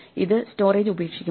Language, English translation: Malayalam, does this give up the storage